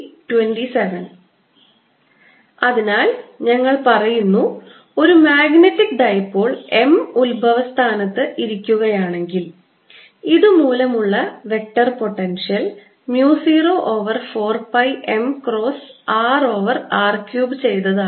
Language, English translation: Malayalam, so we are saying that if i have a magnetic dipole m sitting at the origin, the vector potential due to this is mu zero over four pi m cross r over r cubed